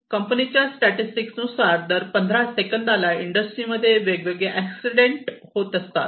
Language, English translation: Marathi, So, here is some statistic one death occurs every 15 seconds due to different accidents in the industry